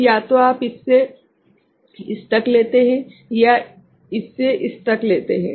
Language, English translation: Hindi, So, either you take from this to this or you take from this to this right